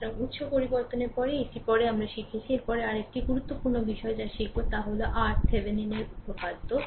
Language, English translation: Bengali, So, after this after source transformation we have learned, next another important thing that you learn that is your Thevenin’s theorem right